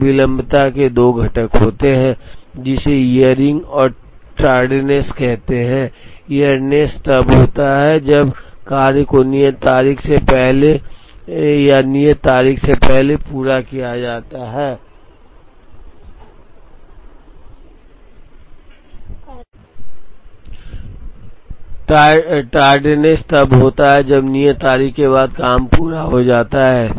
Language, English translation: Hindi, So, lateness has 2 components, which is called earliness and tardiness, earliness is when the job is completed ahead or before the due date, tardiness is when the job is completed after the due date